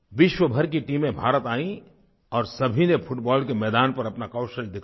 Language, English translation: Hindi, Teams from all over the world came to India and all of them exhibited their skills on the football field